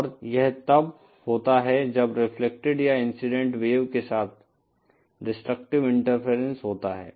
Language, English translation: Hindi, And this happens when there is destructive interference along the reflected and incident wave